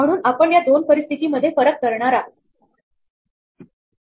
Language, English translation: Marathi, So, we want to distinguish these two cases